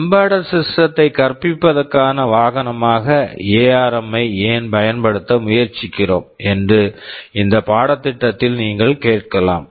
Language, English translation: Tamil, You may ask in this course why are you we specifically trying to use ARM as the vehicle for teaching embedded systems